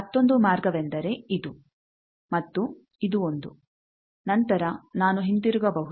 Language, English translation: Kannada, Another path is this one, this one, then I can come back